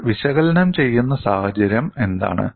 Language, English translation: Malayalam, And what is the kind of situation we are analyzing